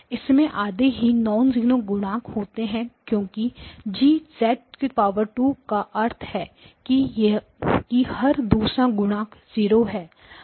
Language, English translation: Hindi, So it has got only half the number of non zero coefficients because G of z squared means every other coefficient is 0